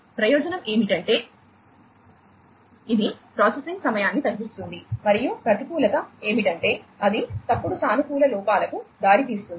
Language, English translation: Telugu, The advantage is that it reduces the processing time and the disadvantage is that it has it leads to false positive errors